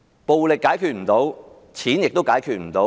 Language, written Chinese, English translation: Cantonese, 暴力解決不到，金錢也解決不到。, Violence cannot solve them neither can money